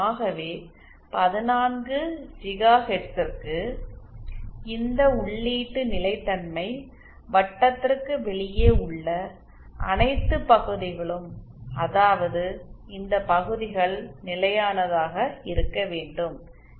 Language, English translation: Tamil, Hence for 14 gigahertz all regions outside this input stability circle that is all these regions must be stable